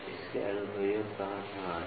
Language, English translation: Hindi, Where are its applications